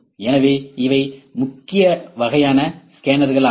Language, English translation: Tamil, So, these are the major kinds of scanners